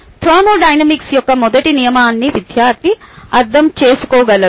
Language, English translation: Telugu, teacher says that she really understand the first law of thermodynamics